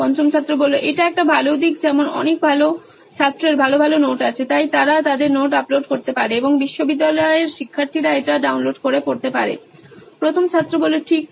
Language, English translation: Bengali, That’s a good one like many good students have good notes, so they can upload their notes and university students can download it and read it Right